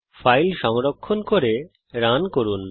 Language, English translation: Bengali, Save and run the file